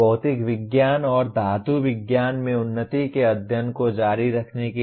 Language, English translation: Hindi, To continue the study of advancement in material science and metallurgy